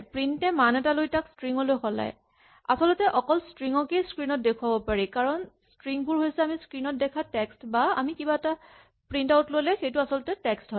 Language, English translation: Assamese, So, what print will do is take a value, convert it to a string and only strings can actually be displayed, because strings are texts what we see on the screen or when we print out something is text